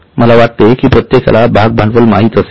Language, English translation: Marathi, I think everybody knows the share